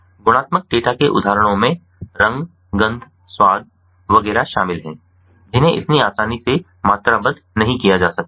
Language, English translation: Hindi, examples of qualitative data include colour, smell, taste, etcetera, which cannot be quantified so easily